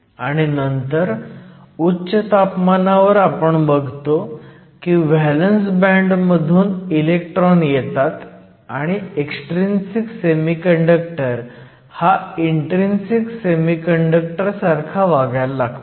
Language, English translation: Marathi, And then at high temperature, we find that we have electrons that come from the valance band and your extrinsic semiconductor behaves like an intrinsic one